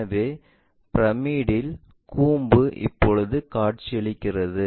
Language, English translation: Tamil, So, this is the way cone really looks like in the pyramid